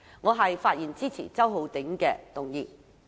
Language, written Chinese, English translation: Cantonese, 我發言支持周浩鼎議員的議案。, I speak in support of Mr Holden CHOWs motion